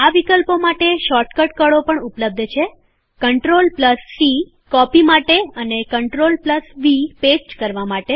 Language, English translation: Gujarati, There are shortcut keys available for these options as well CTRL+C to copy and CTRL+V to paste